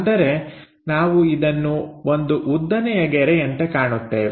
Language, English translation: Kannada, That means, we will see it something like a vertical lines